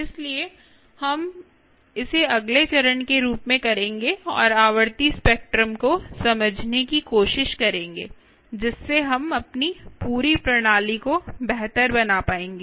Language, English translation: Hindi, so we will do that as a next step and try and understand the frequency spectrum, ok, ah, which will allow us to tune our complete system much better